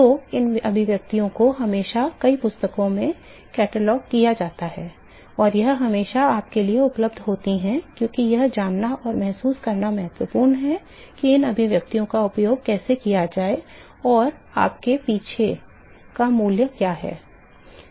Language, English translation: Hindi, So, these expression are always cataloged in several books and its always available to you buts it is important to know and realize how to use these expression and what the values behind it